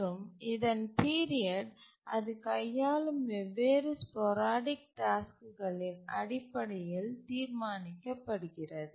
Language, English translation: Tamil, And the period of this periodic server is decided based on the different sporadic tasks that it handles